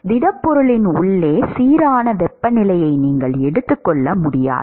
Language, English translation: Tamil, You cannot assume uniform temperature inside the solid